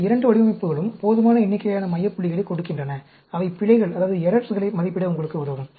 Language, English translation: Tamil, Both these designs give enough number of center points which will help you to estimate the errors